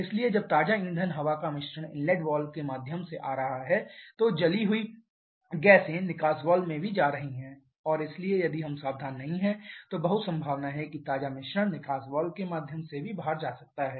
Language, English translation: Hindi, So, while fresh fuel air mixture is coming in through the inlet valve the burnt gases are also going out to the exhaust valve and therefore if we are not careful there is very much a possibility that fresh mixture can also go out through the exhaust valve